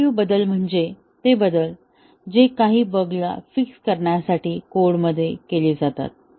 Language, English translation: Marathi, Corrective changes are those changes, which are made to the code to fix some bugs